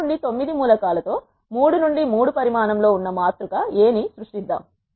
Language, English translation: Telugu, Let us create a matrix A with the elements 1 to 9 which is of 3 bite 3 size